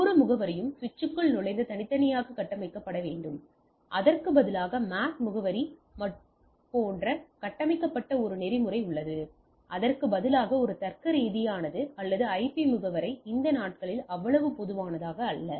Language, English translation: Tamil, Each address must be entering the switch and configured individually and there is a protocol based configured like MAC address by instead is a logical, or IP address it is not so common these days